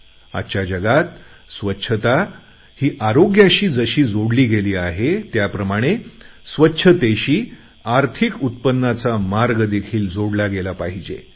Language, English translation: Marathi, In this age, just as cleanliness is related to health, connecting cleanliness to a revenue model is also equally necessary